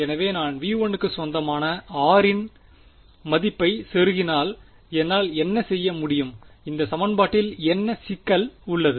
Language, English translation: Tamil, So, if I plug in a value of r belonging to v 1, can I what is the problem with this equation